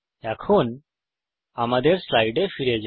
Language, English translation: Bengali, Now let us go back to our slides